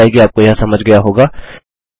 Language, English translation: Hindi, Hopefully you have got this